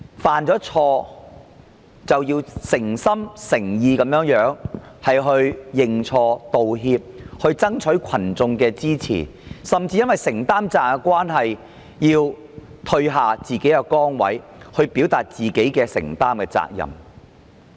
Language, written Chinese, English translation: Cantonese, 犯了錯便要誠心誠意認錯、道歉，並爭取群眾的支持，甚至要退下崗位，以顯示自己的承擔。, If accountability officials had made mistakes they should sincerely admit their faults apologize for the mistakes and seek public support . They should even step down to demonstrate their sense of commitment